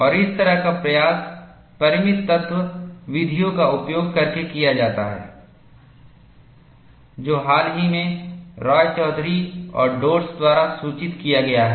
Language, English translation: Hindi, And such an attempt is made using finite element methods, which is recently reported by Roychowdhury and Dodds